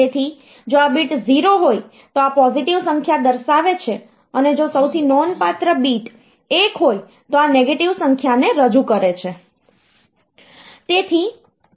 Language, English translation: Gujarati, So, if this bit is 0, so this represents positive number and if the most significant bit is 1 that represents negative number